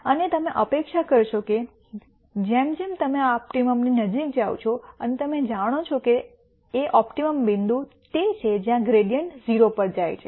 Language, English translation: Gujarati, And you would expect that because as you get closer and closer to the optimum you know that the optimum point is where the gradient goes to 0